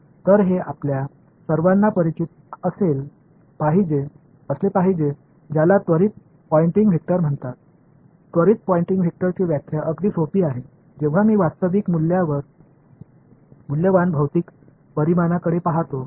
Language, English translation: Marathi, So, again this should be familiar to all of you have what is called the instantaneous Poynting vector the definition of instantaneous Poynting vector is simplest when I look at real valued physical quantities ok